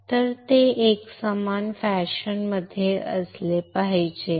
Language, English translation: Marathi, Now, it should be it should be in a uniform fashion